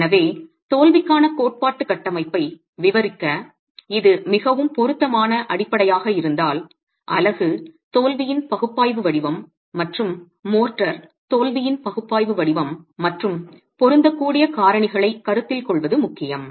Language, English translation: Tamil, So if this is really the more appropriate basis to describe a theoretical framework for the failure, then what is important is that you have an analytical form of the failure of the unit and an analytical form of the failure of the motor and considering factors of compatibility and equilibrium be able to use these two and write the final expression